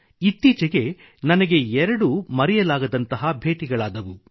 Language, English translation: Kannada, Just recently I had two memorable meetings